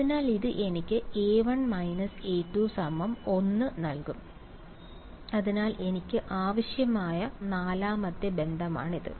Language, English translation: Malayalam, So, this will give me A 2 minus A 1 is equal to 1 right, so that is my fourth relation that I needed right